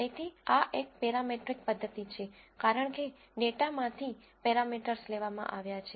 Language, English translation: Gujarati, So, this is a parametric method, because parameters have been derived from the data